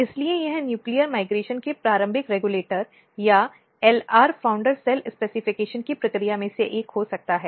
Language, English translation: Hindi, So, this could be one of the early regulator of nuclear migration or the process of LR founder cell specification